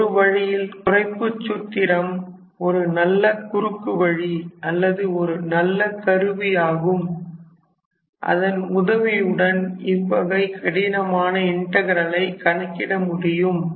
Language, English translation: Tamil, So, in a way a reduction formula is a nice shortcut or a nice tool that will help you calculate those difficult integral